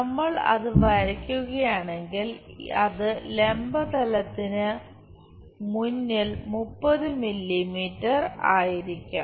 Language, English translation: Malayalam, If we are drawing that will be 20 mm and 30 mm in front of vertical plane